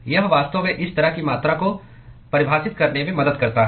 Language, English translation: Hindi, It really helps in defining such kind of a quantity